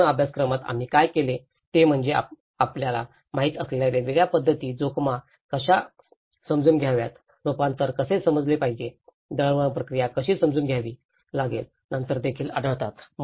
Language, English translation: Marathi, In the whole course, what we did is we also come across different methods you know, how to understand the risk, how to understand the adaptation, how to understand the communication process, the gaps